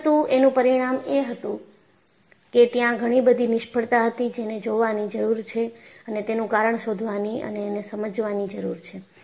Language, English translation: Gujarati, But the result was, you find, there were many failures, that needs to be looked at and the cause needs to be ascertained